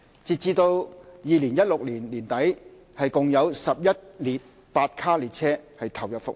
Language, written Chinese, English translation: Cantonese, 截至2016年年底，共有11列8卡列車投入服務。, As at end 2016 a total of 11 8 - car trains were already put into service